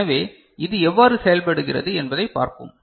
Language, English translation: Tamil, So, let us see how it works, right